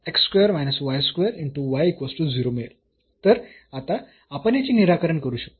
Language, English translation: Marathi, So, now, we can solve this